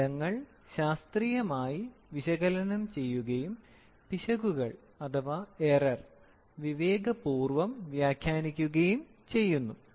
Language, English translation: Malayalam, The results are scientifically analyzed and the errors are wisely interpreted